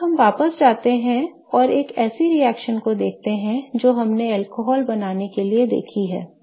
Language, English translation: Hindi, Now, I want to kind of go back and look at one of the reactions that we have seen for formation of an alcohol